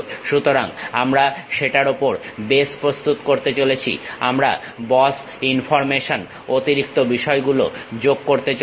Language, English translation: Bengali, So, we have prepared base on that we are going to add boss information, extra things